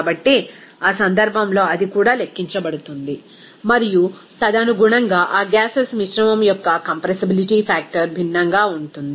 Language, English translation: Telugu, So, in that case, that also to be calculated and accordingly that compressibility factor of that mixture of gases will be different